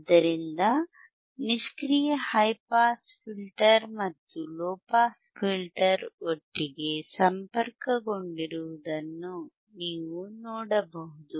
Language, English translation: Kannada, So, you can see the passive high pass filter and low pass filter these are connected together